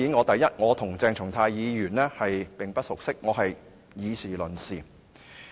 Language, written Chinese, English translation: Cantonese, 當然，我和鄭松泰議員並不熟悉，我是以事論事。, Dr CHENG Chung - tai and I are not familiar with each other at all